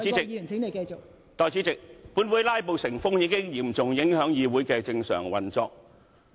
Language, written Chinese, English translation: Cantonese, 代理主席，本會"拉布"成風，已嚴重影響議會的正常運作。, Deputy President the rampant filibustering in this Council has seriously hindered the normal operation of this Council